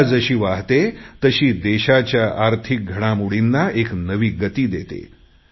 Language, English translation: Marathi, The flow of Ganga adds momentum to the economic pace of the country